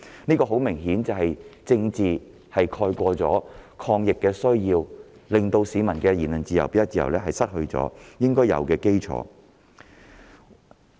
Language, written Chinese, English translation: Cantonese, 這顯然是政治目的蓋過抗疫需要，令市民失去行使言論自由、表達自由的應有基礎。, Political purposes have obviously overridden the need to fight the epidemic thus depriving the citizens of the right to exercise their freedom of speech and of expression